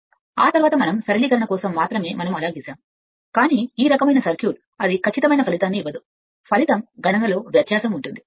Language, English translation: Telugu, After that we are just for the simplification , but this kind of if you assume this kind of circuit it will give it will not give accurate result